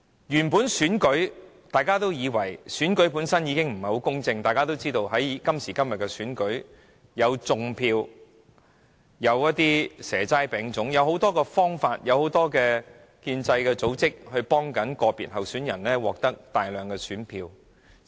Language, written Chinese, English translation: Cantonese, 現時進行的選舉，本身已不太公正，因為一如大家所知，在今時今日進行的選舉中，可以採用"種票"、"蛇齋餅粽"等種種方法，以及透過眾多建制組織協助個別候選人獲得大量選票。, Elections we now have are actually not that fair because as we all know such tactics as vote - rigging and offering free snake banquets vegan feasts moon cakes and rice dumplings to voters through many pro - establishment organizations can be employed in elections conducted nowadays so as to attract a large number of votes for individual candidates